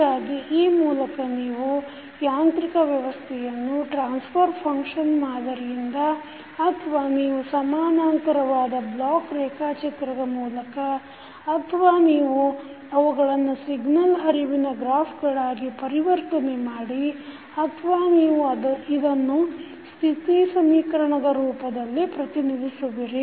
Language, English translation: Kannada, So, you can now understand that the mechanical system can also be represented with the help of either the transfer function method or you can create the equivalent the block diagram or you can convert into signal flow graph or you can represent it in the form of State equation